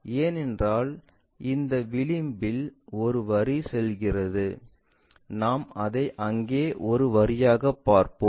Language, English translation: Tamil, Because, this edge what about the line passes through that that we will see it as a line there